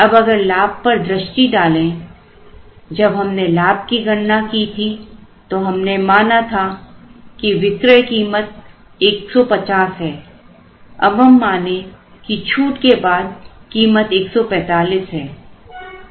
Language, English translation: Hindi, Now, we have to look at the profit, now when we worked out the profit here we said that the total cost is 150, let us say we give a discount and the total cost becomes rupees 145